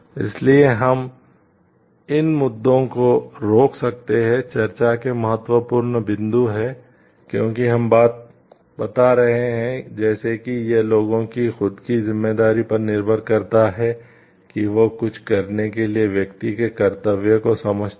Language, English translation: Hindi, So, that we can stop these issues are important points of discussion, because though we are telling like it depends on the self responsibility of the people it understands the duty of the person to do something